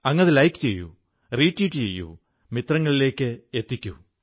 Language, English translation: Malayalam, You may now like them, retweet them, post them to your friends